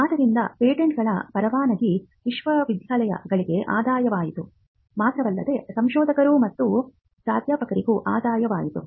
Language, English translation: Kannada, So, licensing of patents became a revenue for universities, but not just the universities, but also for the researchers and the professors